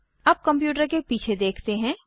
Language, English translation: Hindi, Now lets look at the back of the computer